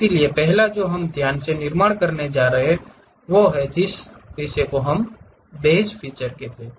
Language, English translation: Hindi, So, the first one what we are going to construct carefully that is what we call base feature